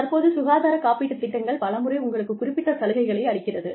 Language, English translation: Tamil, Now, a lot of times, health insurance schemes, give you some benefits